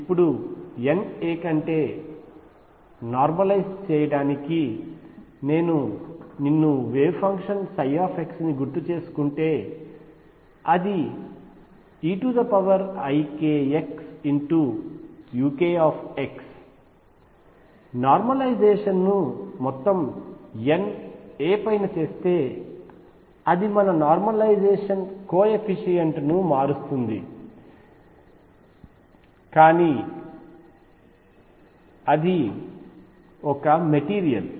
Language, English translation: Telugu, Now to normalize it over N a I can decide to normalize u the wave function psi x recall is e raise to i k x u k x, I can decide to normalize u over entire N a or over a cell and that will just change my normalization coefficient, but that is a material right